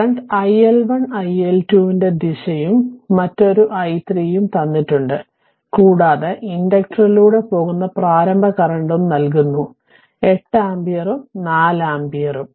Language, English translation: Malayalam, All the direction of the current iL1 iL2 and this is another i3 is given right and your initial current through the inductor, it is given 8 ampere and 4 ampere